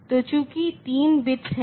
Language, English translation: Hindi, So, since there are three bits